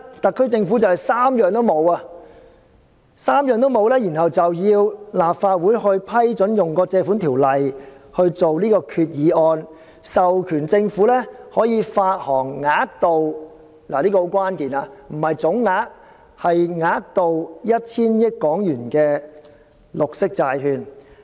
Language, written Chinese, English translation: Cantonese, 特區政府現時完全不能滿足這3項條件，便要求立法會通過政府根據《借款條例》提出的擬議決議案，授權政府發行額度——這很關鍵，不是總額，而是額度——為 1,000 億港元的綠色債券。, In the meantime the Government has whilst failing to meet these three conditions at all requested the Legislative Council to pass the proposed Resolution moved under the Loans Ordinance to authorize the Government to issue green bonds with a maximum amount of HK100 billion―this is most crucial as it refers to the maximum amount instead of the total sum